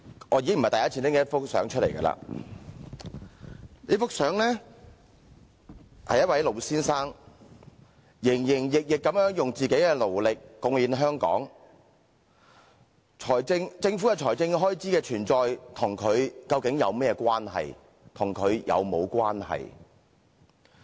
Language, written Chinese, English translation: Cantonese, 我已經不是第一次拿出這幅相片，這幅相片裏是一名老先生，他營營役役地用自己的勞力貢獻香港，政府財政開支的存在和他究竟有甚麼關係？, This is not the first time I take out this picture in which there is an old man . This old man has contributed to Hong Kong with his hard work and labour . In what way is the Governments expenditure related to this old man?